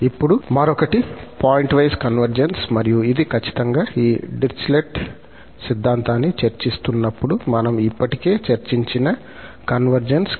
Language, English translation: Telugu, Now, the another one is the pointwise convergence and this is precisely the convergence which we have already discussed while discussing this Dirichlet theorem